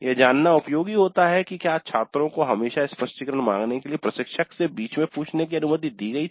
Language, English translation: Hindi, So it is helpful to know whether the students are always allowed to interrupt the instructor to seek clarifications